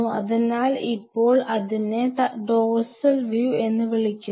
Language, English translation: Malayalam, So, now, that is called a dorsal view